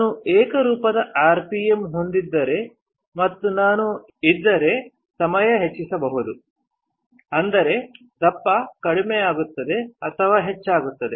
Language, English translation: Kannada, If I have a uniform rpm and if I increase the t ime my thickness will decrease or increase